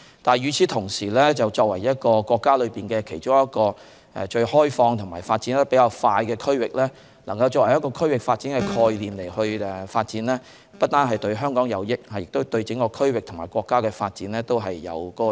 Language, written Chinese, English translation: Cantonese, 但是，與此同時，作為國家其中一個最開放、發展較快的區域，能夠以區域發展的概念發展，不單對香港有益，亦對整個區域和國家的發展有益。, But at the same time being one of the most open regions with faster pace of development in the country its development under the regional development concept will be beneficial not only to Hong Kong but also to the development of the entire region and the country